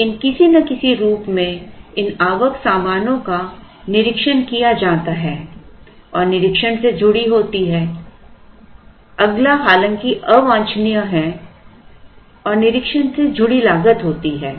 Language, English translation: Hindi, But, in some form these incoming goods are inspected and there is a cost associated with the inspection